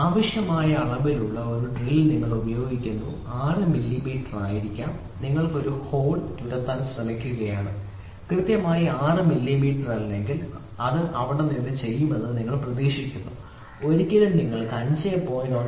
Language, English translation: Malayalam, You are using a drill of a required dimension may be 6 millimeter and you are trying to drill a hole there it is expected that a exact 6 millimeter is done there if it is not exact 6 millimeter you will be never able to get 5